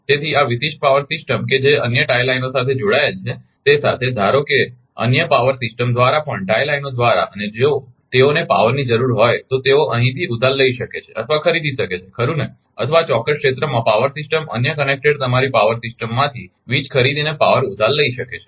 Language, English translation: Gujarati, So, these these these particular power system that is connected with other tie lines also suppose other true other ah power system also right, through the tie lines and if other they need power, then they can borrow power or purchase power from here right, or these particular area power system can borrow power purchase power from the other connected ah your power system